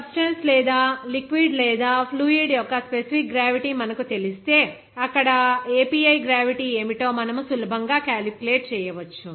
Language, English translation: Telugu, Once you know that specific gravity of the substance or liquid or fluid, then you can easily calculate what should be the API gravity there